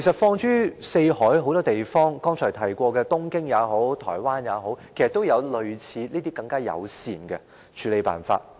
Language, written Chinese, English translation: Cantonese, 放眼四海，正如剛才提過的東京和台灣，有關當局其實也訂定類似單車友善的處理辦法。, When we look around the world as in the case of Tokyo and Taiwan were mentioned earlier the authorities concerned have adopted the approach of formulating kind of bicycle - friendly policies